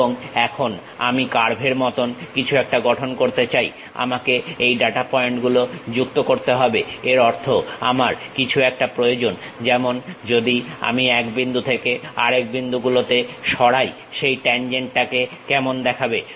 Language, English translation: Bengali, And, now, I would like to construct something like a curve I had to join these data points; that means, I need something like from one point to other point if I am moving how that tangent really looks like